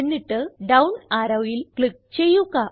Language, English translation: Malayalam, Now, press the down arrow that is displayed alongside